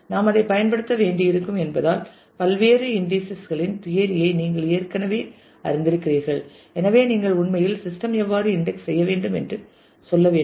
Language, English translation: Tamil, Because we will have to use it you have already known the theory of various different indices and so, on so, how do you actually tell the system to index